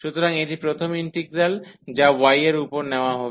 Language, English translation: Bengali, So, this is the first integral, which is taken over y